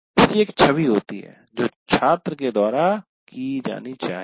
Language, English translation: Hindi, So there is certain reflecting that has to be done by the student